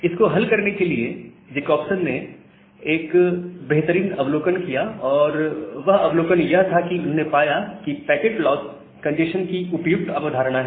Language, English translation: Hindi, So, to solve this, Jacobson had a nice observation, and the observation was that he found that well packet loss is a suitable notion for congestion